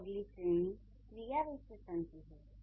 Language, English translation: Hindi, And then the next category is the adverbs